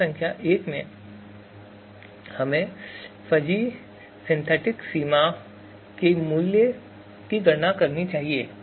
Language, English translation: Hindi, So in the step number one, we are supposed to compute the value of fuzzy synthetic extent